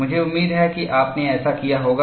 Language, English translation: Hindi, I hope you have done that